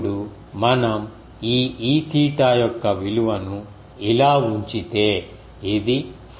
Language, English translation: Telugu, So, now if we put the value of this e theta so, this will turn out to be 4